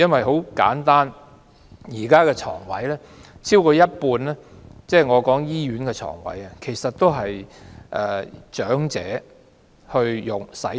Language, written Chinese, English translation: Cantonese, 很簡單，現時超過一半的醫院床位是長者使用。, At present over half of the hospital beds are occupied by elderly people